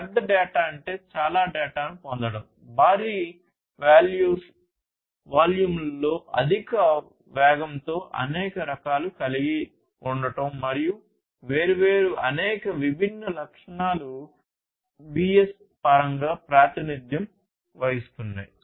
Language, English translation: Telugu, So, big data is about you know getting lot of data, coming in huge volumes in high velocity of you know having high variety, and so, many different attributes typically represented in the terms of different Vs